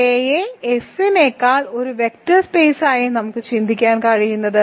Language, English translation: Malayalam, Let this be a field extension, we think of rather I will say we can consider K as a vector space over F